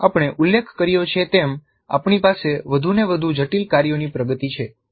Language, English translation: Gujarati, As we mentioned we have a progression of increasingly complex tasks